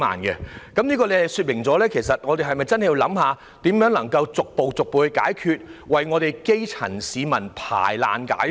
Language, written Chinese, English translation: Cantonese, 各位局長，這說明我們實在有需要研究如何逐步解決房屋問題，為基層市民排難解紛。, Directors of Bureaux this shows that there is a genuine need to examine how to gradually combat the housing problem and solve the problems of grass - roots people